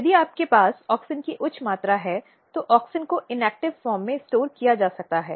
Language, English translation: Hindi, So, what happens that if you have high amount of auxin, then auxin can be stored in form of inactive form